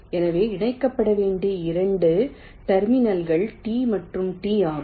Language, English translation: Tamil, so the two terminals to be connected are s and t